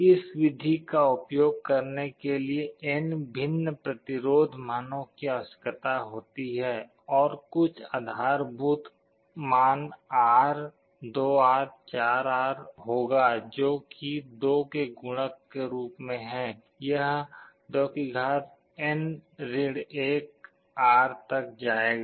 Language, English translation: Hindi, This method requires n different resistance values to be used and the magnitudes will be some base value R, 2R, 4R; that means multiples of 2; this will go up to 2n 1 R